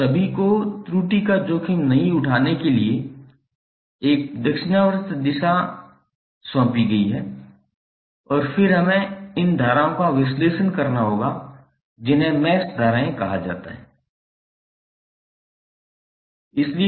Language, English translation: Hindi, Now, all have been assigned a clockwise direction for not to take risk of error and then we have to analyse these currents which are called mesh currents